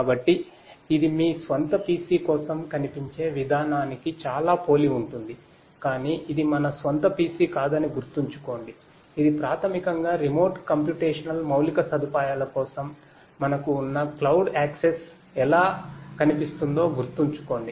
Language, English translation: Telugu, So, it is you know it looks very similar to the way it looks for your own PC, but remember that this is not our own PC this is basically how it looks to the cloud access that we have for the remote the remote computational infrastructure